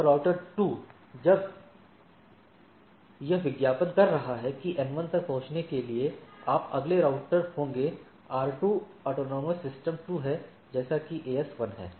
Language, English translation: Hindi, And router 2 when it is advertising that in order to reach N 1, you next router will be R 2 AS is AS 2 next AS is AS 1